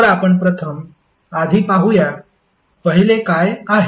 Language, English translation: Marathi, So let's see the first one, what is first one